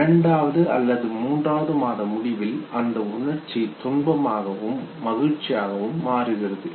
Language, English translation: Tamil, Which by the end of second or third month converts into distress and delight, okay